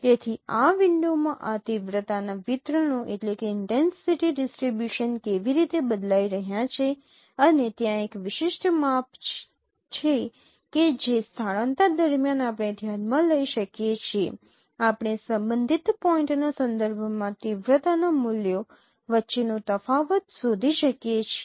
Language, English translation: Gujarati, So, so, so how this intensive distributions are changing in this window and there is a particular measure what we can consider during the shifting we can find out the difference between the intensity values with respect to the corresponding point